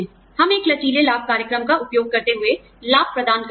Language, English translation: Hindi, We administer benefits, using a flexible benefits program